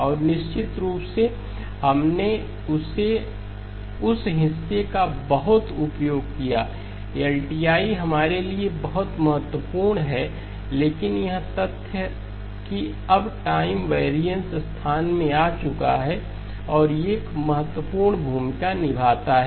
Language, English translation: Hindi, And of course we used that part a lot; LTI is very important for us but the fact that the time variance has now come in place and plays an important role okay